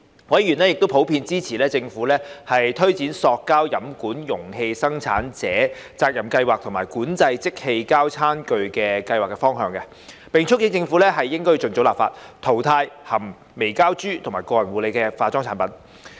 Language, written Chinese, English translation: Cantonese, 委員亦普遍支持政府推展塑膠飲料容器生產者責任計劃及管制即棄膠餐具計劃的方向，並促請政府盡早立法，淘汰含微膠珠個人護理及化妝產品。, Also members in general expressed support for the Governments direction in taking forward the Producer Responsibility Scheme on Plastic Beverage Containers and the Scheme on Regulation of Disposable Plastic Tableware and urged the Government to introduce legislation as early as possible to phase out microbead - containing personal care and cosmetic products